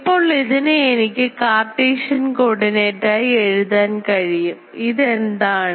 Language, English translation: Malayalam, Now I can write it in terms of Cartesian coordinate what is it